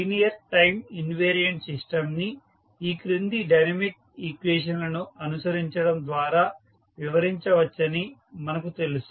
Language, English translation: Telugu, So, we know that the linear time invariant system can be described by following the dynamic equation